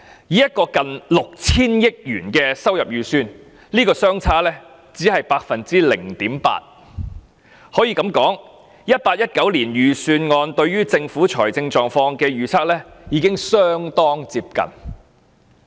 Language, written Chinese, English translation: Cantonese, 以一個近 6,000 億元的收入預算而言，這個差別只是 0.8%...... 可以這樣說 ，2018-2019 年度預算案對政府財政狀況的預測已相當接近。, This shortfall merely accounts for 0.8 % of the estimated revenue of nearly 600 billion I can therefore say that the projection of the 2018 - 2019 Budget is very close to the Governments financial position